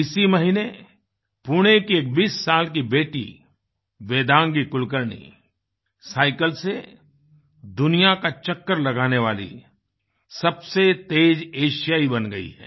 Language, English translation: Hindi, This very month, 20 year old Vedangi Kulkarni from Pune became the fastest Asian to traverse the globe riding a bicycle